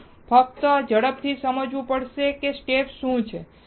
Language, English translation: Gujarati, We have to just understand quickly what are the steps